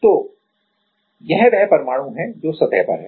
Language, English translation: Hindi, So, this is the atom which is at the surface right